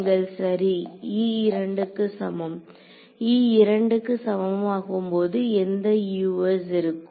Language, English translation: Tamil, You are right e is equal to 2; e is equal to 2 has which Us in it